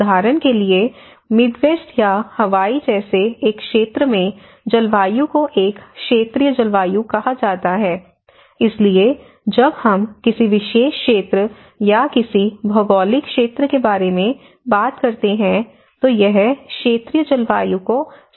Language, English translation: Hindi, For instance, the climate in the one area like the Midwest or Hawaii is called a regional climate so, when we talk about a particular zone or a particular area, geographical region, it is refers to the regional climate